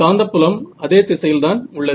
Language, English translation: Tamil, So, magnetic field anyway is in the same direction